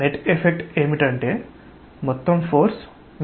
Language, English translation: Telugu, The net effect is that the sum total force is 0